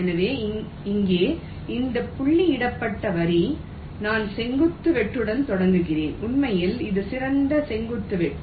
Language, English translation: Tamil, so here these dotted line means i am starting with a vertical cut and in fact, this is the best vertical cut